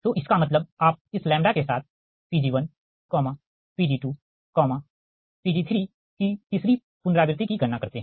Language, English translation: Hindi, so that means, with this lambda, you calculate your, what you call third iteration the pg one, pg two, pg three